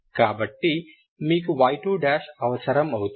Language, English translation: Telugu, So in this I need to substitute y 2, Ok